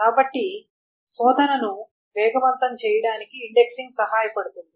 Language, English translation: Telugu, So what does indexing help one do is to make the search faster